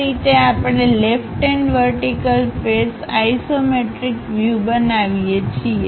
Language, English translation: Gujarati, This is the way we construct isometric view in the left hand vertical face